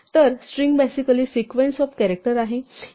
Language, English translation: Marathi, So, a string is basically sequence of characters